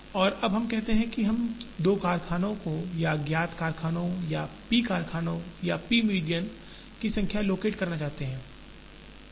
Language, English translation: Hindi, And now, let us say, we want to locate say 2 factories or known number of factories or p factories or p medians